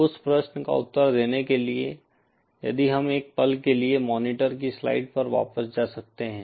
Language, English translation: Hindi, To answer that question if we can go back to the monitor slides for a moment